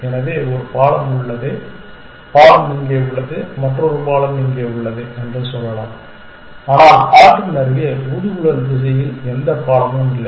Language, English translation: Tamil, So, let us say the bridge is one bridge is here and another bridge is here, but there is no bridge along the blowflies direction close the river